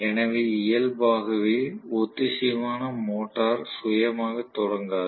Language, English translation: Tamil, So inherently the synchronous motor is not self starting